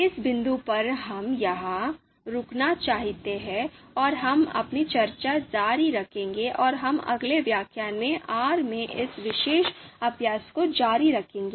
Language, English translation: Hindi, So you know at this point, we would like to stop here and we will continue our discussion and we will continue doing this particular exercise in R in the next lecture